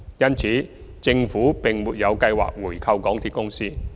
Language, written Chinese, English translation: Cantonese, 因此，政府沒有計劃回購港鐵公司。, Therefore the Government has no plan to buy back all the remaining shares of MTRCL